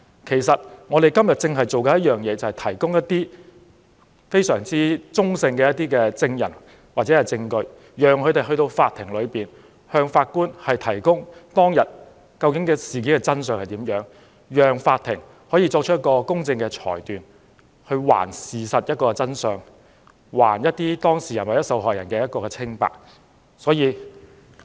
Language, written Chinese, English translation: Cantonese, 其實，我們正是要提供中立的證人或證據，讓他們向法庭提供當日發生的事件的真相，讓法庭作出公正裁決，還事實一個真相，還當事人或受害人清白。, In fact by providing neutral witnesses or evidence the court would know what really happened on that day and a fair ruling could be made to reveal the truth of the case and clear the name of the parties or the victims concerned